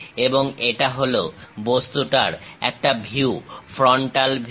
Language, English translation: Bengali, And this is one view of that object, the frontal view